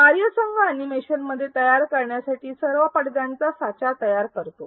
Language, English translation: Marathi, The team creates a template for all the screens to be created within the animation